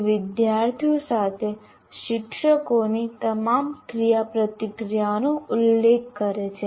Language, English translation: Gujarati, It refers to all the interactions teachers have with the students